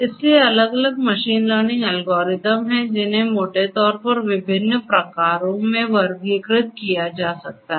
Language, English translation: Hindi, So, there are different machine learning algorithms they can be classified broadly into different types